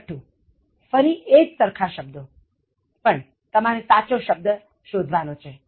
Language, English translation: Gujarati, Sixth one, again the same two words, but you have to find out the right one